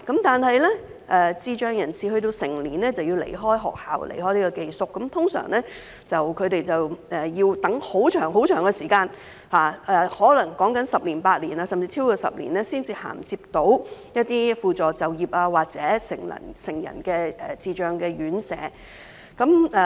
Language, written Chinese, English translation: Cantonese, 但是，當智障人士成年便要離開學校，離開宿舍，他們一般要等候很長時間，可能是十年八載，甚至超過10年才能銜接一些輔助就業服務或成人智障院舍。, However when their children with intellectual disabilities reached adulthood they had to leave schools and boarding houses . After that they would normally have to wait for 8 to 10 years or even longer before they could obtain some supported employment services or reside in residential care homes for adults with intellectual disabilities